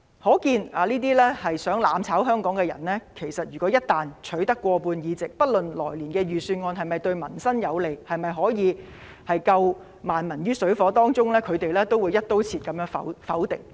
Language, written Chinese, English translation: Cantonese, 可見如果這些企圖"攬炒"香港的人一旦取得立法會過半議席，不論來年的預算案是否對民生有利，能否拯救萬民於水火之中，他們也會"一刀切"地否決。, If the people who attempt to burn together become the majority in the Legislative Council they will negative next years Budget in its entirety regardless of whether it is beneficial to peoples livelihood or whether it can save people from miseries